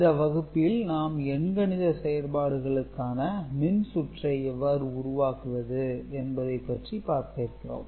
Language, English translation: Tamil, Now, in this particular class we shall look at circuits by which these arithmetic operations can be done